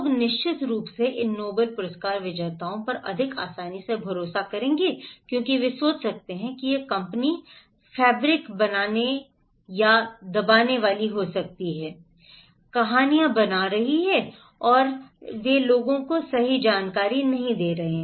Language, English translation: Hindi, People, of course, would easily trust more these Nobel laureates because they can think that this company may be fabricating or suppressing the informations, making stories and not and they are not giving the right information to the people